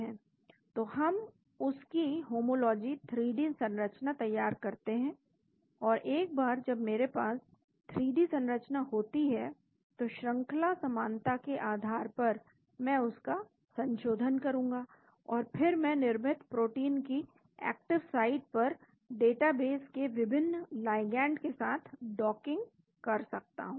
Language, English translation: Hindi, So, we prepare the homology 3D structure of that and based on sequence similarity once I have the 3D structure I do the refinement and then I go into the docking of various ligands from database to the active site of the created protein